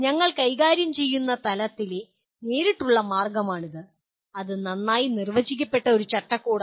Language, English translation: Malayalam, It is directly the way at the level at which we are handling, it is a well defined framework